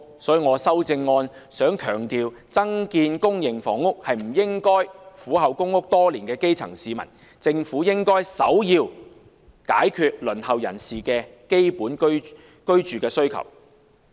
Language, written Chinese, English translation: Cantonese, 所以，我的修正案強調，增建公營房屋是不應該犧牲苦候公屋多年的基層市民，政府應首要解決輪候人士的基本居住需要。, For this reason my amendment stresses that while increasing the supply of public housing the grass roots who have been on the PRH waiting list for years should not be sacrificed . The Government should give priority to the basic housing needs of those on the waiting list